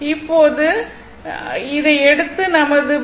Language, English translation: Tamil, And this is my voltage V